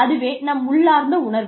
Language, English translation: Tamil, That is our inherent feeling